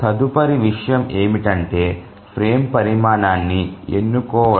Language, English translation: Telugu, Now the next thing is to choose the frame size